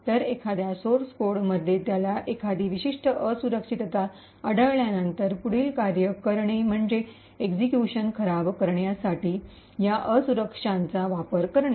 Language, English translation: Marathi, So, once he has found a particular vulnerability in the source code, the next thing is to use this vulnerability to subvert the execution